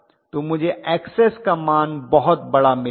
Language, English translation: Hindi, So I am going to have Xs value to be really really large